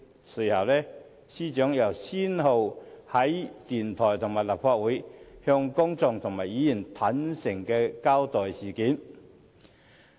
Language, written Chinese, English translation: Cantonese, 隨後，司長亦先後到電台和立法會，向公眾和議員坦誠交代事件。, Afterwards the Secretary for Justice went to a radio station and the Legislative Council to give a candid account to the public and Members respectively